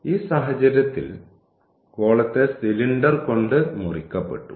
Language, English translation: Malayalam, So, in this case the sphere was cut by the cylinder